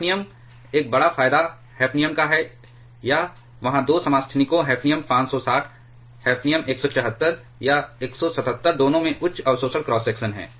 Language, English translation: Hindi, Hafnium, one big advantage of hafnium is that there are 2 isotopes hafnium 560 hafnium 174 or 177 both have high absorption cross sections